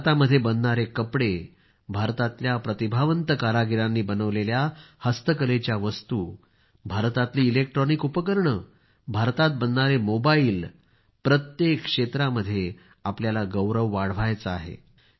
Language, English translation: Marathi, Textiles made in India, handicraft goods made by talented artisans of India, electronic appliances of India, mobiles of India, in every field we have to raise this pride